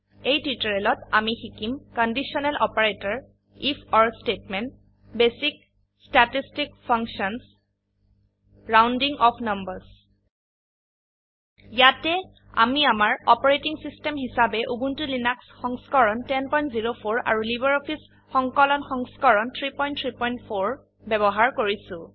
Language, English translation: Assamese, In this tutorial we will learn about: Conditional Operator If..Or statement Basic statistic functions Rounding off numbers Here we are using Ubuntu Linux version 10.04 as our operating system and LibreOffice Suite version 3.3.4